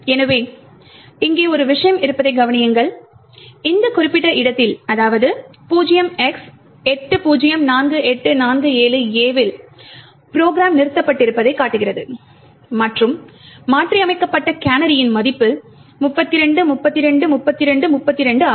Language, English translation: Tamil, So, note that there is one thing over here it shows that the program has terminated at this particular location 0x804847A and the value of the canary which has been modified was 32, 32, 32, 32